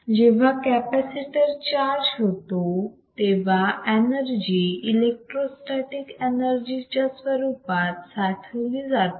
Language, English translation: Marathi, We were that whenhen the capacitor gets charged, right the energy gets stored in forms of in the form of electro static energy